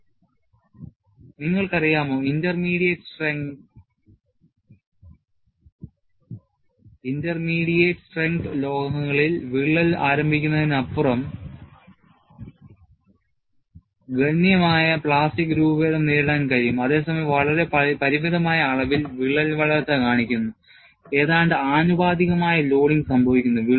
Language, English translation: Malayalam, You know, in intermediate strength metals, that can withstand substantial plastic deformation beyond crack initiation while exhibiting very limited amounts of crack growth, nearly proportional loading occurs